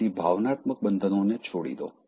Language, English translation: Gujarati, So, let go of emotional addictions